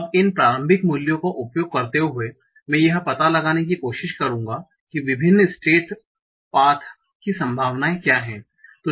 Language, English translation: Hindi, Now, using this initial values, I'll try to find out what are the probabilities of various state paths